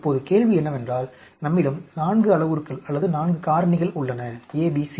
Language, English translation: Tamil, Now, the question is we have 4 parameters or 4 factors, ABCD, ABCD